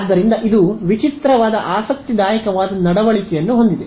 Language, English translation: Kannada, So, it has a strange I mean interesting behavior